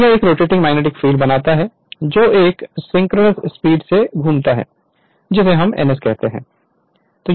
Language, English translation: Hindi, And it creates a rotating magnetic field which rotate at a synchronous speed your what you call ns right